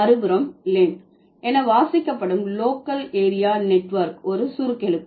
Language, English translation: Tamil, On the other hand, local area network read as LAN would be an acronym